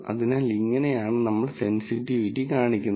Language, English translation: Malayalam, So, this is how sensitivity is defined